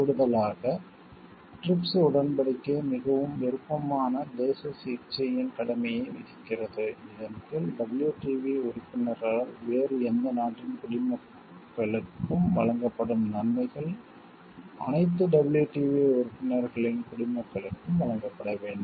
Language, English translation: Tamil, In addition, the trips agreement imposes an obligation of most favored nation treatment under which advantages accorded by a WTO member to the nationals of any other country must also be accorded to the nationals of all WTO members